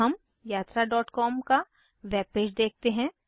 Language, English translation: Hindi, Let us see the web page of Yatra.com